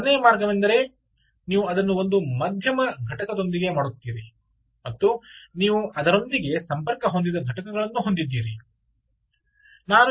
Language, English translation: Kannada, the second way is you do it with one middle entity and you have entities which are connected to it